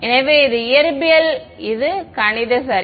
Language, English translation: Tamil, So, this is physics this is math ok